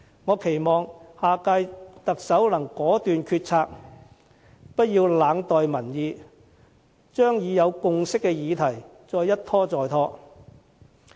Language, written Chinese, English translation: Cantonese, 我期望下屆特首能果斷決策，不要冷待民意，將已有共識的議題一拖再拖。, I hope that the next Chief Executive can act decisively instead of cold - shouldering public opinions and putting up any further delay regarding this issue on which there is already a consensus